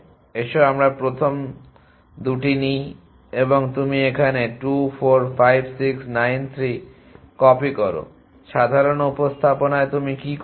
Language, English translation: Bengali, The let us take the first 2 an you just copy here 2 4 5 6 9 3 in the ordinary representation what you do